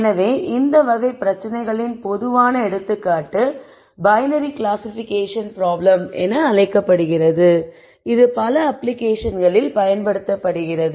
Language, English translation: Tamil, So, typical example of this type of problem is called a binary classification problem which is used in many applications I will point out 2 applications for example